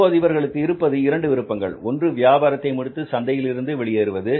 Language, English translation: Tamil, Now they have two options available, either to close down the business, pull the shutters and go out of the market